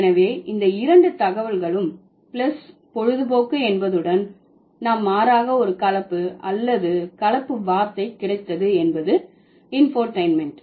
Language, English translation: Tamil, So, keeping both information plus entertainment, we have got a blend, blending word or blended word rather, that is infotentment